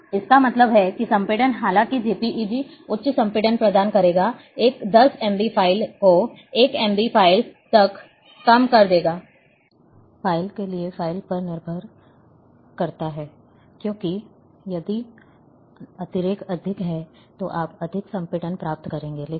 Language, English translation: Hindi, That means, a compression, in through JPEG will provide high compression, a 10 MB file may be reduced to 1 MB file, depending on file to file, because if redundancy is high, then you will achieve more compression